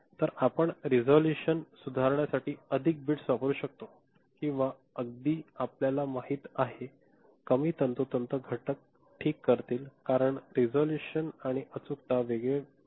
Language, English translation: Marathi, So, you can use more bits to improve the resolution right or even you know, less precise components will do ok, because the resolution and accuracy they are quite a part